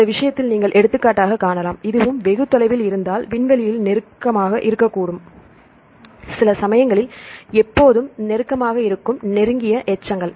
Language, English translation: Tamil, In this case you can see for example, if this and this are very far, they can be close in space some case the close residues they are always close